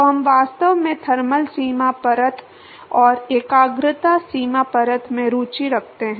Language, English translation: Hindi, So, what we are really interested in is the thermal boundary layer and the concentration boundary layer